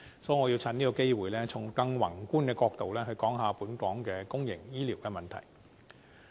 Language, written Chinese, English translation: Cantonese, 所以，我想藉此機會，從更宏觀的角度討論本港公營醫療問題。, For this reason I would like to take this opportunity to discuss the problem of public healthcare services in Hong Kong from a more macroscopic angle